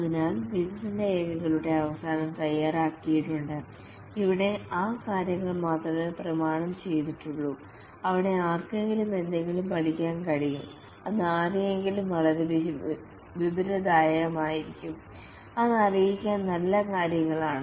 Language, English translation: Malayalam, So at the end of development documents are prepared and here only those things are documented where somebody can learn something which will be very informative to somebody which is good things to know